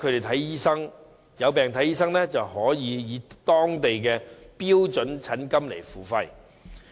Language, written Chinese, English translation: Cantonese, 他們有病求診，可以當地的標準診金付費。, They may pay the local standard rate for the treatment of their illnesses